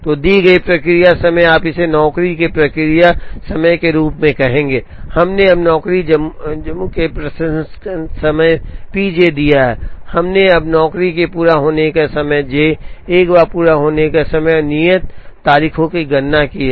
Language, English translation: Hindi, So, the given process times, you would call this as p j process time of job, we have now given the processing time p j of job j, we have now computed here the completion time of job j, once the completion time and due dates are known, we can calculate the objectives